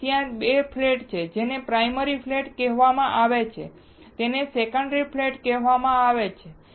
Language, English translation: Gujarati, So, there are 2 flats this is called primary flat and this is called secondary flat